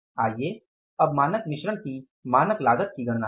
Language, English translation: Hindi, So, you can find out what is the standard cost of standard mix